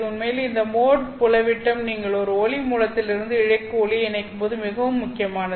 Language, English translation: Tamil, In fact, it is this mode field diameter which is very important when you are coupling light from a light source into the fiber